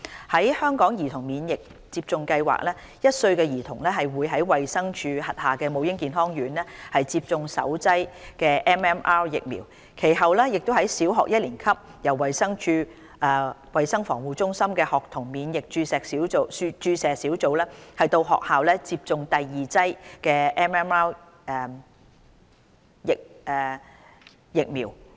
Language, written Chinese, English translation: Cantonese, 在香港兒童免疫接種計劃下 ，1 歲兒童會在衞生署轄下母嬰健康院接種首劑 MMR 疫苗，其後在小學一年級由衞生署衞生防護中心的學童免疫注射小組到校為他們接種第二劑 MMR 疫苗。, Under HKCIP children in Hong Kong are given the first dose of MMR vaccine when they are one year old at Maternal and Child Health Centres MCHCs of the Department of Health DH followed by a second dose of MMR vaccine at Primary One by the School Immunisation Teams of DH through outreach visits to schools